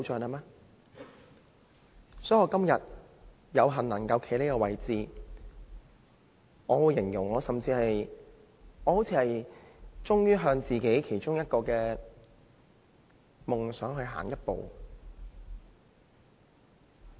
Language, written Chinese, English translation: Cantonese, 因此，我今天有幸能夠站在這個位置，我會形容為我終於向自己其中一個夢想向前邁進一步。, Hence I am fortunate to be able to stand in this position today . I would describe this as a step forward which I have finally made towards one of my dreams